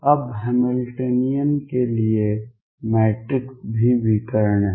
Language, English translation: Hindi, Now the matrix for the Hamiltonian is also diagonal right